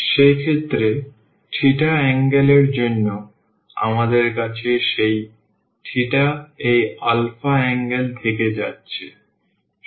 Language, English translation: Bengali, o, in that case and also for the angle theta, we have that theta is going from this alpha angle